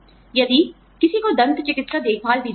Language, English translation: Hindi, If somebody is given dental care